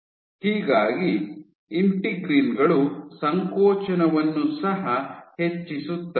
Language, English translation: Kannada, So, integrins drive the contractility also